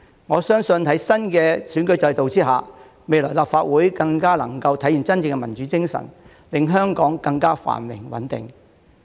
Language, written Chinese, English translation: Cantonese, 我相信，在新的選舉制度下，未來立法會更能體現真正的民主精神，令香港更加繁榮穩定。, I believe that under the new electoral system the Legislative Council will be better able to embody the true spirit of democracy and hence lead Hong Kong to more prosperity and stability in the future